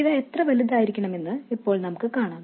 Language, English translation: Malayalam, Now we will see exactly how large they have to be